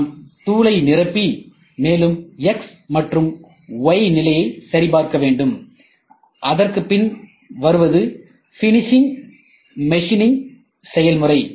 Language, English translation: Tamil, So, then what we do is we try to fill powder, and verify x and y position ok and then after this comes, the process of finish machining